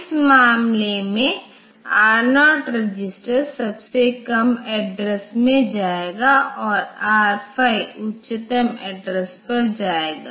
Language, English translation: Hindi, Whereas, in this case R0 register has gone to the lowest address and this R the R0 it has gone to the lowest address and R5 has gone to the highest address